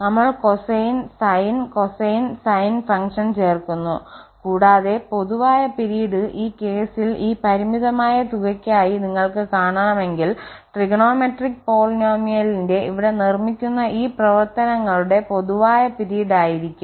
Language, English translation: Malayalam, We are adding the cosine sin cosine sine functions, and the common period if you want to see for this finite sum in this case, will be the common period of all these functions which are being added here to construct this such a so called the trigonometric polynomial